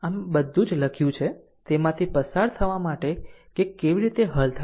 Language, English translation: Gujarati, So, everything is written for you just yougo through it that how you solve